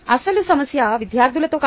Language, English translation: Telugu, actually, the issue was not with students